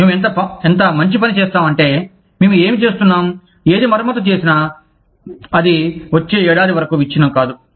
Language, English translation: Telugu, We will do, such a good job of, what we are doing, that whatever is repaired, will not break down, for the next one year